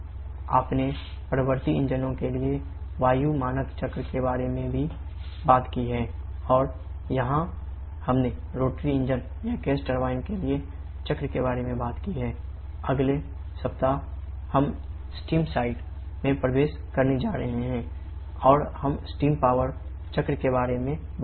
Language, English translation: Hindi, You talked about the gas standard cycle for reciprocating engines and here we have talked about the cycle for rotary engine or Gas turbine